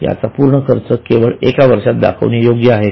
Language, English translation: Marathi, Is it rightful that the whole expense is shown in year 1 only